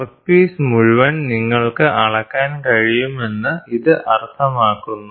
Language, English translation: Malayalam, So, that means to say you can measure the entire workpiece